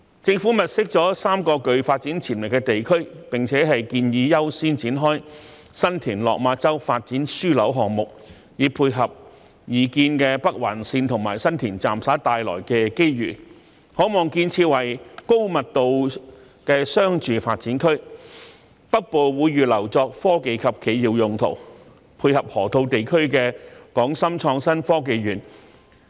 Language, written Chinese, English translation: Cantonese, 政府物色了3個具發展潛力的地區，並且建議優先展開新田/落馬洲發展樞紐項目，以配合擬建的北環綫和新田站所帶來的機遇，可望建設為高密度的商住發展區，北部則會預留作科技及企業用途，配合河套地區的港深創新及科技園。, The Government has identified three areas with development potentials . It recommended that the San TinLok Ma Chau Development Node project be launched as a priority to tie in with the opportunities brought by the proposed Northern Link and San Tin Station with a view to developing the region into a high - density commercial and residential area . The northern part of the region will be reserved for technology and corporate use to dovetail with the development of the Hong Kong - Shenzhen Innovation and Technology Park in the Loop